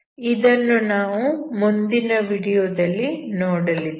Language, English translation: Kannada, So that we will see in the next video